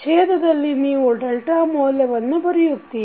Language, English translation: Kannada, In the denominator you will write the value of delta